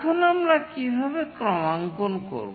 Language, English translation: Bengali, Now, how do we do calibration